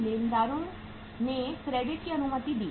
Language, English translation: Hindi, Creditors credit allowed